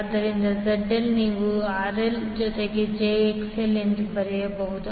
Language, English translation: Kannada, So, ZL you can write as RL plus jXL